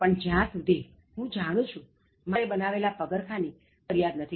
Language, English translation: Gujarati, But as far as I know, nobody has ever complained about my father’s shoes